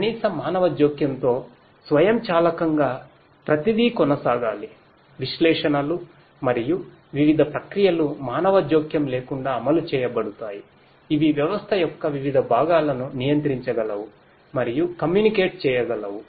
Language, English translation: Telugu, Automatic with minimum human intervention everything should continue, the analytics and the different processes that get executed without any human intervention ideally should be able to control and communicate with the different parts of the system